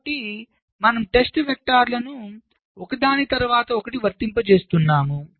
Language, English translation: Telugu, so i am applying the test vectors one after the other